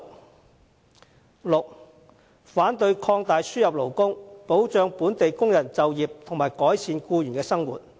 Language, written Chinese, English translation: Cantonese, 第六，反對擴大輸入勞工，保障本地工人就業及改善僱員的生活。, Sixth opposing the expansion of importation of labour to safeguard the employment of local workers and improve the lot of employees